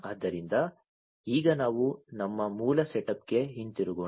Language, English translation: Kannada, So, now, let us go back to our original setup